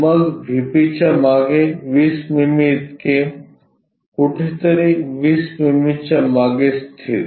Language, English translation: Marathi, Then behind VP 20 mm so, locate behind 20 mm somewhere there